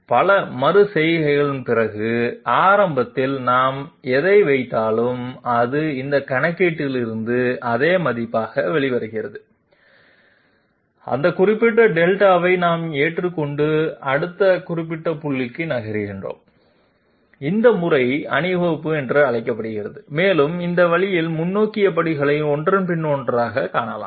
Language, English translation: Tamil, So after several iterations if we observe that whatever Delta we put in at the beginning, it is coming out as the same value from this calculation we accept that particular Delta and move onto the next particular point and this method is called Marching and this way we can find out the forward steps one after the other